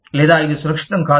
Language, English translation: Telugu, Or, it is not safe, anymore